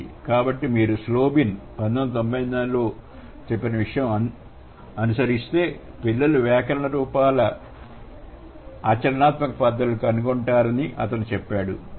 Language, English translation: Telugu, So, if you follow Slob in 1994, he would say, children come to discover pragmatic extensions of grammatical forms